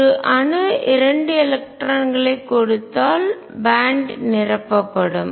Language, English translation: Tamil, If an atom gives 2 electrons the band will be filled